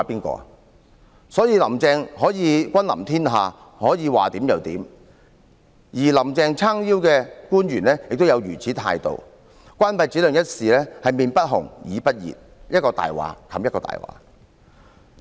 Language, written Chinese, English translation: Cantonese, 所以，"林鄭"可以君臨天下，可以說怎樣就怎樣，而有"林鄭"撐腰的官員也是如此態度，對於關閉展亮中心一事，臉不紅、耳不熱，一句謊言掩蓋另一句謊言。, Therefore Carrie LAM can conquer the world and make things done as she says . Officials backed up by her can also adopt such attitude . In the closure of SSCKT they feel no shame and tell one lie to cover another